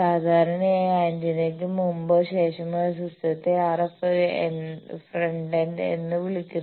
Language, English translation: Malayalam, Generally, before or after the antenna the system those are called RF frontend